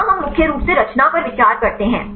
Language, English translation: Hindi, Here we mainly consider the conformation